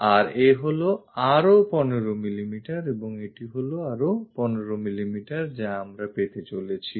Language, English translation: Bengali, And this is also another 15 mm and this one also another 15 mm what we are going to have